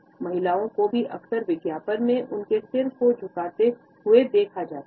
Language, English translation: Hindi, Women are often also shown in advertisements tilting their heads